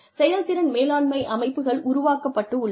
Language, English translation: Tamil, Performance management systems are developed